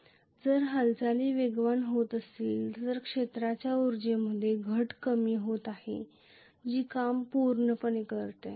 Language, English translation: Marathi, And if the movement is taking place fast then the reduction taking place in the field energy that represents the work done